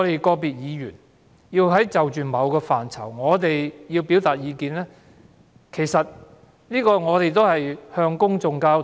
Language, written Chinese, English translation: Cantonese, 個別議員就某個範疇表達意見，目的是為了向公眾交代。, Individual Members hold themselves accountable to the public by expressing their views on particular areas